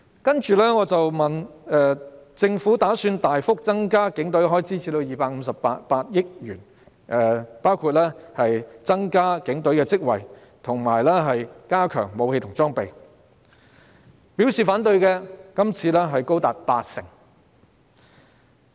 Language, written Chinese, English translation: Cantonese, 接着我詢問，政府打算大幅增加警隊開支至258億元，包括增加警隊職位，以及加強武器和裝備，他們對此有何意見。, Then I asked their views on the Governments intention to drastically raise the expenditure of the Police to 25.8 billion including the increase in the number of posts in the Police as well as enhancement of weapons and equipment